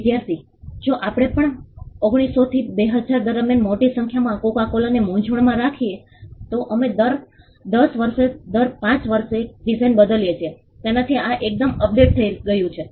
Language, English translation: Gujarati, Student: in case we too confusing coco cola with a large number of right from 1900 to 2000, we have changed this quite updated on every 10 years every 5 years we changes design